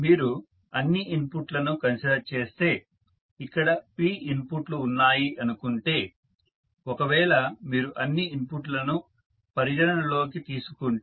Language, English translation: Telugu, If you consider all the inputs say there are p inputs if you consider all the inputs